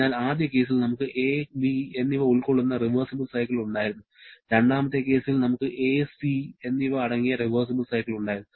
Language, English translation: Malayalam, So, in the first case, we had reversible cycle comprising of ‘a’ and ‘b’, in the second case, we had reversible cycle comprising of ‘a’ and ‘c’